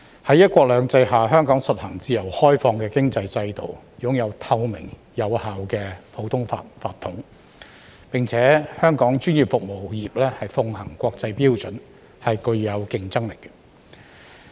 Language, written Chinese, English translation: Cantonese, 在"一國兩制"下，香港實行自由開放的經濟制度，擁有透明有效的普通法法統，並且香港專業服務業奉行國際標準，具有競爭力。, Under one country two systems Hong Kong implements a free open economic system with a transparent effective common law tradition . Besides Hong Kongs professional services industry adheres to international standards and enjoys competitive edge